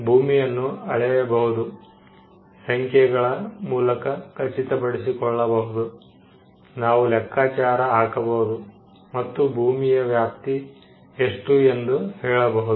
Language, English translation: Kannada, It can be measured, it can be ascertained in numbers, we can compute, and we can say what is the extent of the land